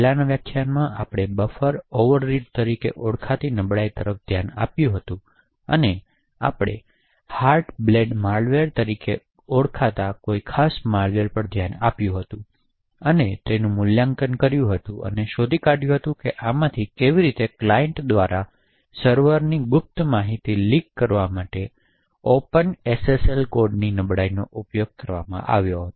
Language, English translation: Gujarati, So in the previous lecture we had looked at vulnerability known as Buffer overread and we had looked at a particular malware known as the Heartbleed malware and evaluated it and found out how this had utilised a vulnerability in the Open SSL code to leak secret information from a server to a client